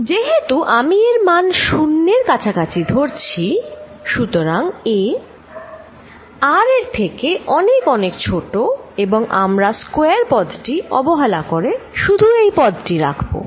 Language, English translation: Bengali, Since, I am going to take a going to 0, so a is much, much, much less than r we are going to neglect a square term and keep only this term